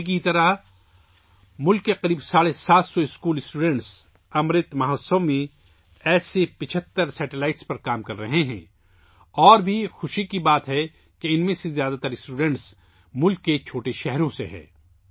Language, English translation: Urdu, Like Tanvi, about seven hundred and fifty school students in the country are working on 75 such satellites in the Amrit Mahotsav, and it is also a matter of joy that, most of these students are from small towns of the country